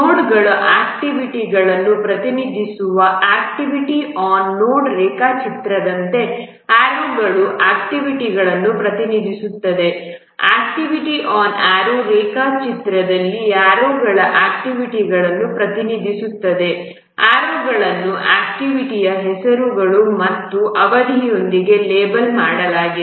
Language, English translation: Kannada, Arrows represent the activities unlike the activity on node diagram where nodes represent the activities in the activity on arrow diagram the arrows represent the activities the arrows are labeled with the activity names and also the duration